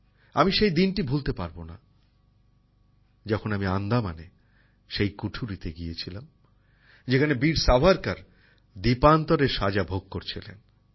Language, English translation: Bengali, I cannot forget the day when I went to the cell in Andaman where Veer Savarkar underwent the sentence of Kalapani